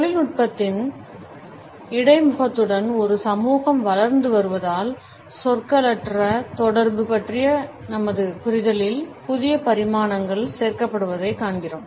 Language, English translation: Tamil, As a society is developing with the interface of technology we find that newer dimensions in our understanding of nonverbal communication are being added